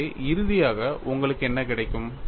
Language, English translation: Tamil, So, finally, what you get